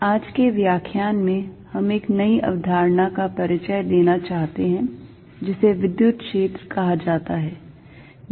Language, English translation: Hindi, In today's lecture, we want to introduce a new idea called the electric field